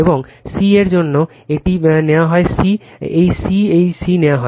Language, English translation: Bengali, And for c dash, it is taken c this c dash it is taken c right